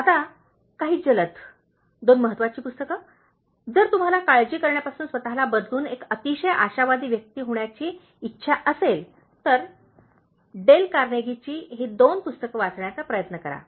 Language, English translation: Marathi, Now, some quick, two important books, if you want to change yourself from worrying to become a very optimistic person; so, try to read these two books from Dale Carnegie